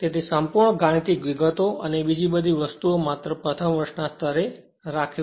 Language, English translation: Gujarati, So, details mathematics other thing just keeping at the first year level